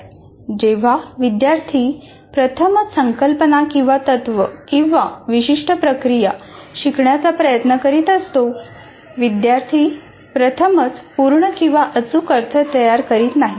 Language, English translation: Marathi, Whenever a student is trying to learn first time a concept or a principal or a certain procedure, what happens, the students do not construct meaning fully or accurately the first time